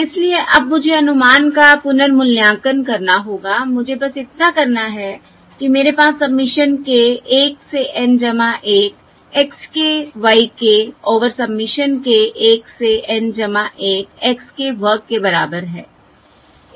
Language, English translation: Hindi, if I have to recompute, if I have to recompute the estimate, all I have to do is I have k equal to 1 to N plus 1 x k, y, k divided by submission, k equal to 1 to N plus 1 x square of k